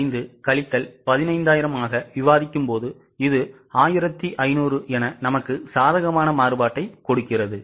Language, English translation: Tamil, 5 minus 15,000, It gives a variance of 1 500 favorable